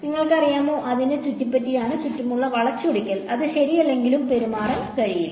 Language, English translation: Malayalam, You know it has to bend around it; twist around it cannot behave as though it is not there right